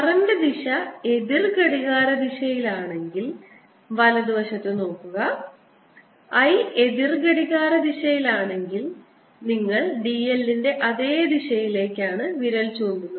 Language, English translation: Malayalam, if the current direction was also counter clockwise just look at the right hand side here if i was counterclockwise then u would be pointing opposite to l